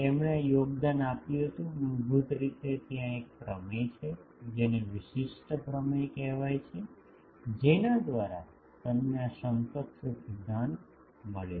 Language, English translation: Gujarati, He made this contribution basically there is a theorem called uniqueness theorem by which he found out this equivalence principle